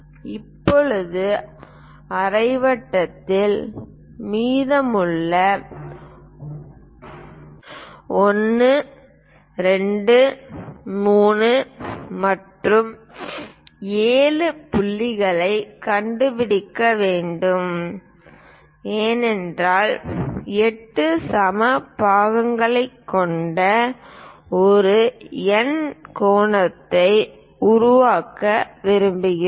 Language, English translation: Tamil, Now, we have to locate the remaining points like 1, 2, 3 and so on 7 points on the semicircle because we would like to construct an octagon of 8 equal sides